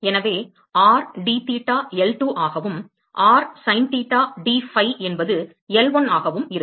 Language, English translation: Tamil, So, r dtheta will be L2 and r sin theta dphi will be L1